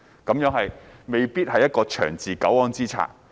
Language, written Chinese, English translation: Cantonese, 這未必是一個長治久安之策。, This may not be the way to maintain peace and stability in the long run